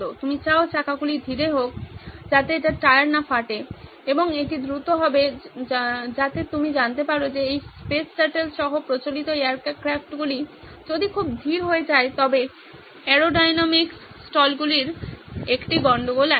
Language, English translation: Bengali, You want the wheels to be slow so that it does not wear the tyres and it has to be fast so that can land you know there is a case of aerodynamics stalls if it goes too slow these conventional aircrafts including this spaceshuttle